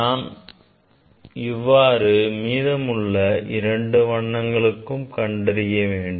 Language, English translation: Tamil, Then, similarly I have to find out for the other color